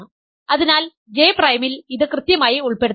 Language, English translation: Malayalam, So, that is exactly the inclusion of this in J prime